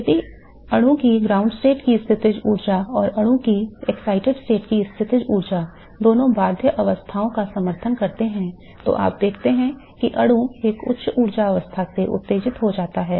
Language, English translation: Hindi, If the potential energy of the ground state of the molecule and the potential energy of the excited state of the molecule both support bound states